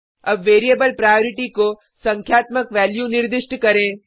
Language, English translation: Hindi, Now let us assign a numerical value to the variable priority